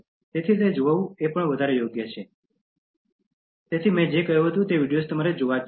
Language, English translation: Gujarati, So, it is worth watching, so that is why I said that it is must watch videos